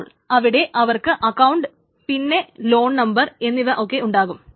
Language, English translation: Malayalam, So they can have this account and loan number and all of these things together